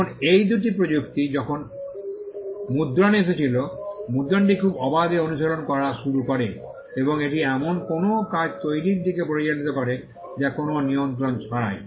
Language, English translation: Bengali, Now when these two technologies came into being printing began to be practiced very freely and it lead to creation of works which without any control